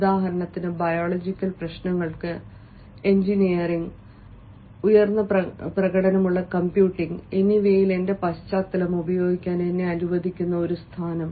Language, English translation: Malayalam, say, for example, a position which can allow me to apply my background in engineering and high performance computing to biological problems